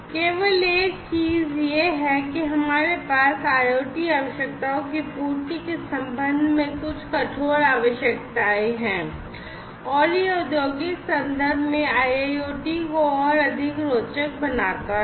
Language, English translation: Hindi, So, the only thing is that we have some stringent requirements with respect to the fulfilment of IoT requirements and that is what makes IIoT much more interesting in the industrial context